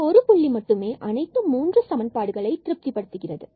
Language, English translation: Tamil, This is another point which satisfies all these equations